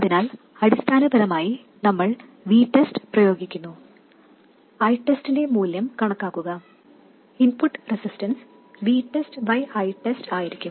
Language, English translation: Malayalam, So essentially we apply V test, calculate the value of I test, and the input resistance would be V test divided by I test